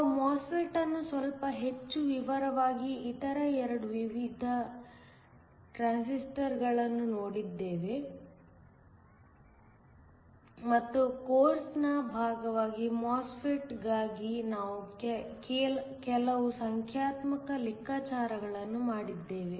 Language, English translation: Kannada, We looked at the MOSFET slightly in more detail then the other 2 types of transistors, and we did some numerical calculations for the MOSFET as part of the course